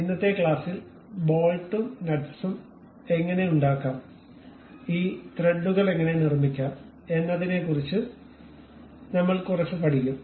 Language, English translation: Malayalam, In today's class, we will learn little bit about how to make bolts and nuts, how to construct these threads